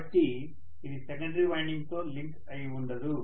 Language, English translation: Telugu, So it is not going to link with the secondary winding